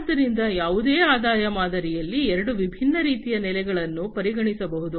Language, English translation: Kannada, So, there are two different types of pricing that can be considered in any revenue model